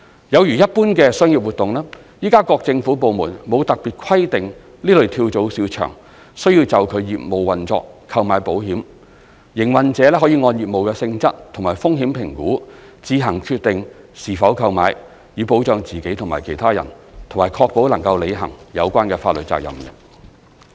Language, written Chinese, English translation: Cantonese, 有如一般的商業活動，現時各政府部門沒有特別規定此類跳蚤市場須就其業務運作購買保險，營運者可按業務性質及風險評估自行決定是否購買，以保障自己及其他人，以及確保能履行有關法律責任。, As with other commercial activities in general at present government departments have no particular requirement that this type of flea markets should take out an insurance policy on their business operations . Operators can decide on their own having regard to their business nature and risk assessment whether to procure an insurance policy for protecting themselves and others as well as ensuring that they are able to fulfil any relevant legal responsibilities